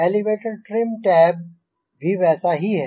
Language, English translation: Hindi, this is the elevator trim tab attachment